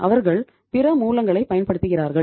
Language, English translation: Tamil, They use other sources